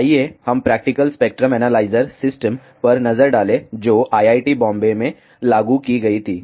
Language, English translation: Hindi, Let us have a look at a practical spectrum analyzer system which was implemented at IIT Bombay